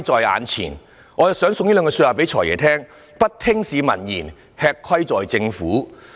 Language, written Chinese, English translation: Cantonese, 我也想把一句話送給"財爺"，就是"不聽市民言，吃虧在政府"。, I would also give an advice to the Financial Secretary and that is Refusal to heed the advice of the public brings suffering to the Government